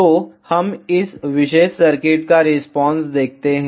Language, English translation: Hindi, So, let us see the response of this particular circuit